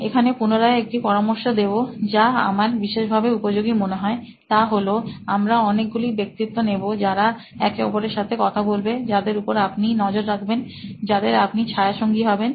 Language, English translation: Bengali, Now again a tip here which I found it particularly useful is to have multiple personas who will be interacting with or whom you are going to track, whom you’re going to shadow